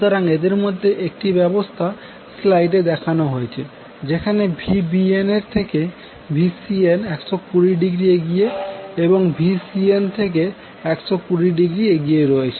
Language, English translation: Bengali, So in 1 such arrangement is shown in this slide, where Van is leading Vbn by 120 degree and Vbn is again leading Vcn and by 120 degree